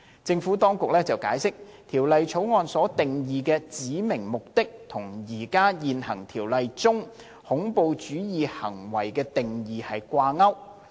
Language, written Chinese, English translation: Cantonese, 政府當局解釋，《條例草案》所定義的"指明目的"與現行《條例》中"恐怖主義行為"的定義掛鈎。, The Administration has explained that the definition of specified purpose in the Bill is linked to the definition of terrorist act in the existing Ordinance